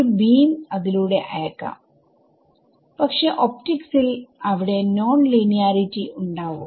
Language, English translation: Malayalam, So, might a what beam as sent through it, but in optics particularly they are there are non linearity